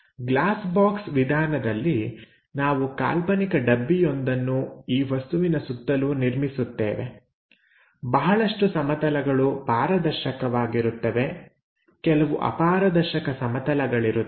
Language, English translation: Kannada, In the Glass box method, we construct an imaginary box around this object; some of them are transparentplanes, some of them are opaque planes